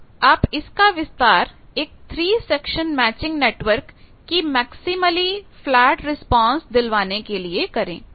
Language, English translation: Hindi, Now, extend that to a 3 section matching network to have a maximally flat response